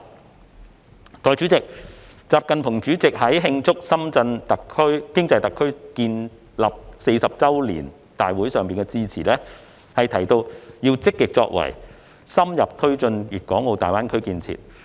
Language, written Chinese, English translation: Cantonese, 代理主席，國家主席習近平在慶祝深圳經濟特區建立40周年大會上的致辭中提到"積極作為深入推進粵港澳大灣區建設"的要求。, Deputy President at the grand gathering to celebrate the 40 anniversary of the establishment of the Shenzhen Special Economic Zone State President XI Jinping mentioned in his speech the requirement of taking active moves to further promote the construction of the Guangdong - Hong Kong - Macao Greater Bay Area